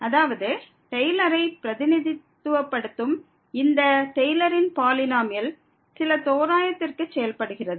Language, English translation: Tamil, That means, because this Taylor’s polynomial representing the Taylor functions to some approximation